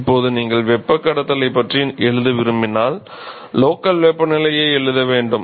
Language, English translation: Tamil, Now when you want to write conduction we have to write the local temperature